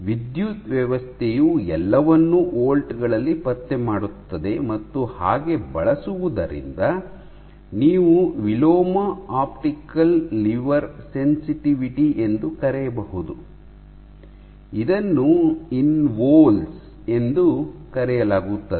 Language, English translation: Kannada, So, the electric system detects everything in volts, in volts and using so, you can calculate something called inverse optical lever sensitivity, this is called InVols